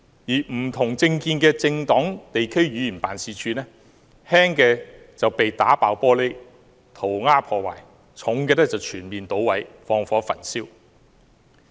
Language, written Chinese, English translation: Cantonese, 不同政見的政黨地區議員辦事處，輕則被打破玻璃、塗鴉破壞，嚴重的則被全面搗毀、放火焚燒。, They smashed the glass panes in the offices of District Council members holding opposing political views and scrawled words on the walls; and in serious cases they burnt down the entire office